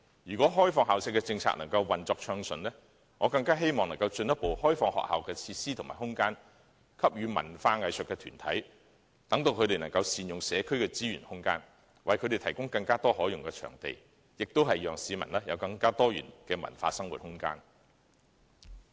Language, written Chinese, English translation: Cantonese, 如果開放校舍的政策運作順暢，我希望能進一步開放學校的設施和空間予文化藝術團體，善用社區資源和空間，為它們提供更多可用的場地，亦讓市民有更多元的文化生活空間。, Should the policy of opening up school premises be implemented smoothly I hope the schools facilities and space can be further opened up to cultural and arts bodies so that community resources and space can be put to optimal use to provide more usable venues and give members of the public cultural and arts space of greater diversity